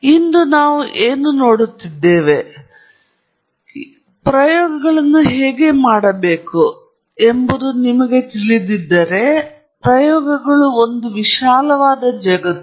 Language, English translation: Kannada, So, today that is what we are going to look at how to do this and, or at least, what I am going do is, you know, if you take the idea of experiments it is a very vast world out there